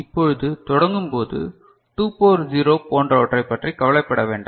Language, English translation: Tamil, And to begin with, let us not bother about this part ok, 2 to the power 0 etcetera